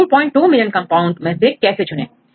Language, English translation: Hindi, 2 million compounds, how to choose